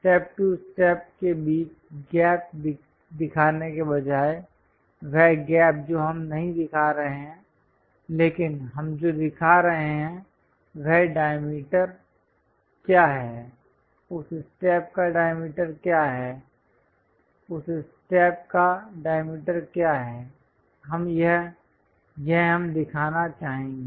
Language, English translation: Hindi, Instead of showing the gap between step to step, what is that gap we are not showing, but what we are showing is what is that diameter, what is the diameter for that step, what is the diameter for that step we would like to show